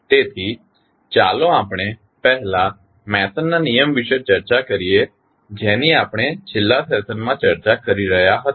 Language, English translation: Gujarati, So, let us discuss first the Mason’s rule which we were discussing in the last session